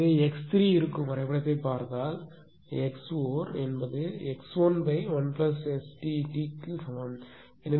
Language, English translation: Tamil, So, if you look at the diagram that x 3 will be is equal to x 4 in 1 upon 1 plus S T t